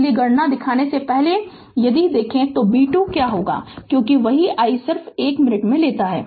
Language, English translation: Hindi, So, before showing you the calculation, so if you see the what will be b 2 because same i say just 1 minute